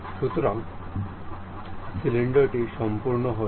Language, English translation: Bengali, So, cylinder is done